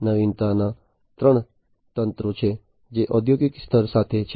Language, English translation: Gujarati, So, there are three waves of innovation that have gone through in the industrial level